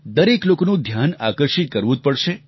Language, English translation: Gujarati, Everyone's attention will have to be drawn